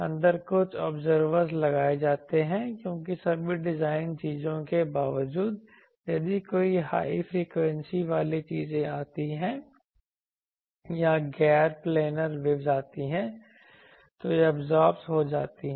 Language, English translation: Hindi, Inside some absorbers are put because in spite of all the design things, if any high frequency things come or non planar waves comes then that gets absorbed